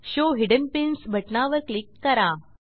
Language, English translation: Marathi, Click on the Show hidden pins button